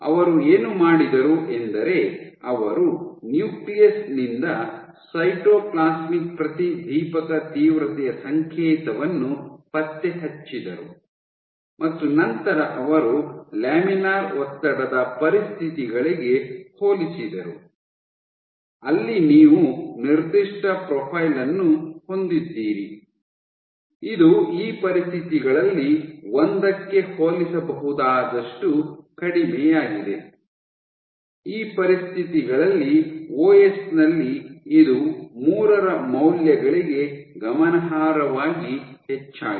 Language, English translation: Kannada, What they did was they tracked the Nucleus to Cytoplasmic intensity signal, fluorescent intensity signal And then they found was compared to laminar stress conditions, where you had a given profile, which was lesser than a comparable to 1 under these conditions this increased in OS this was significantly increased to values 3